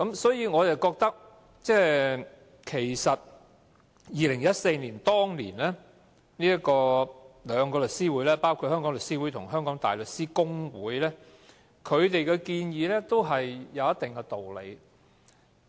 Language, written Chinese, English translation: Cantonese, 所以，我認為包括香港律師會和香港大律師公會這兩個律師團體在2014年的建議也有一定的道理。, So I think there is indeed a point to incorporate the proposal which the Hong Kong Bar Association and The Law Society of Hong Kong put forward in 2014